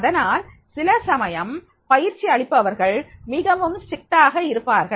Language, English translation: Tamil, So, therefore sometimes the trainers they become strict